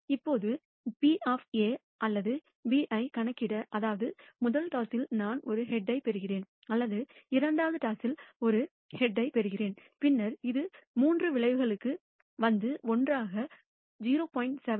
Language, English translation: Tamil, Now in order to compute the probability of A or B which means either I receive a head in the first toss or I receive a head in the second toss, then this comes to three outcomes and together gives you a probability of 0